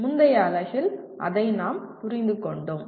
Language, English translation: Tamil, That is what we understood in the previous unit